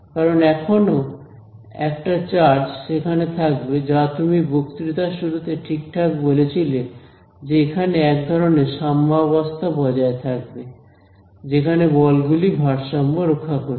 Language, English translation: Bengali, Because a charge it will still be there right as you said rightly in the start of the lecture there will be some sort of a equilibrium that will be establish where the forces are in balance